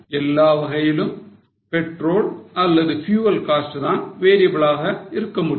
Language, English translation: Tamil, In all probability the petrol or the fuel cost will be variable